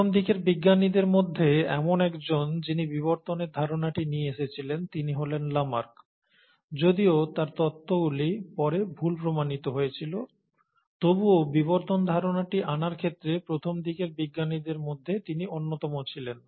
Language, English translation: Bengali, Now one of the earliest scientist who brought in the concept of evolution was Lamarck, and though his theories were disproved later, he still was one of the earliest scientist to bring in that very concept of evolution